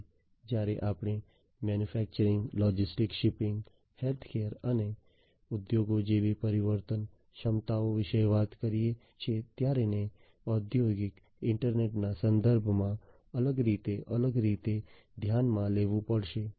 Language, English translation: Gujarati, So, when we talk about transformation capabilities such as manufacturing, logistics, shipping, healthcare and industries these will have to be taken in the into consideration differentially, differently in the context of industrial internet